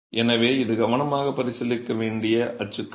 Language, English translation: Tamil, So, this is a typology to be considered carefully